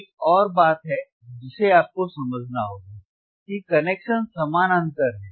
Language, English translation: Hindi, There is one more thing that you have to understand is the parallel connection is parallel